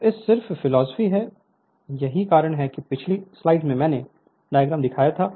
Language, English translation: Hindi, So, this is your just you just same philosophy that is why previous slide I showed the diagram